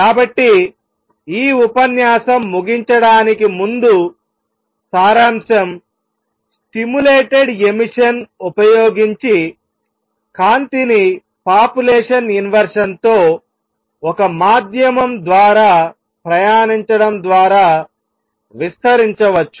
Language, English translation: Telugu, So, just to conclude this lecture using stimulated emission light can be amplified by passing it through a medium with population inversion